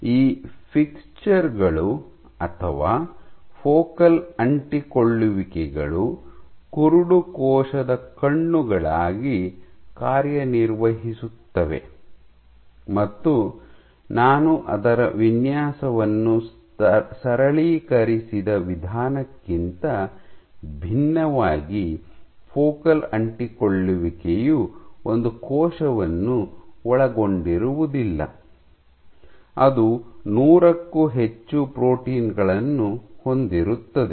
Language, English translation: Kannada, So, these fixtures or focal adhesions, serve as the eyes of the blind cell and unlike the simply the way I simplified its design the focal adhesion does not comprise of one cell it has greater than 100 proteins